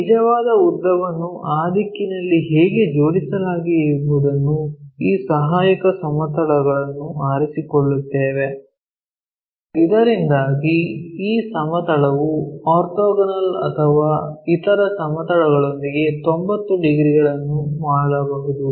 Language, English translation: Kannada, So, the way how this true length is aligned in that direction we pick this auxiliary plane, so that this plane may make orthogonal or 90 degrees with the other planes